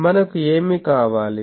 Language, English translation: Telugu, What we require